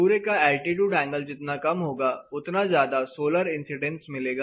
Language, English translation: Hindi, So, the lower the altitude of the sun, you are going to get more solar incidence on your window surface